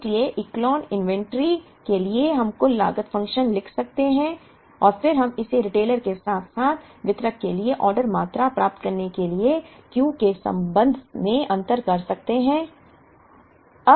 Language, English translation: Hindi, So, for the Echelon inventory we could write the total cost function and then we could differentiate it with respect to Q to get the order quantities for the retailer as well as for the distributor